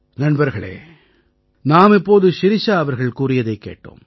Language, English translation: Tamil, Friends, just now we heard Shirisha ji